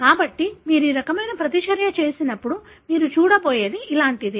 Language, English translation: Telugu, So, when you do that kind of a reaction, what you are going to see is something like this